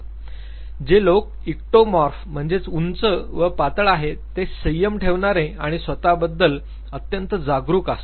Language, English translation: Marathi, People who are Ectomorph mean they are tall and thin; they are being ones who would e restrained and very self conscious